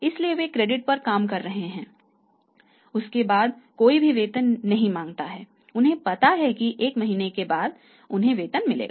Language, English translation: Hindi, So, they are working on the credit day one onwards nobody ask for the salary they know that after one month we will get the salaries